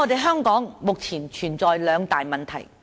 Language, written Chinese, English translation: Cantonese, 香港目前存在兩大問題。, At present Hong Kong is plagued by two major problems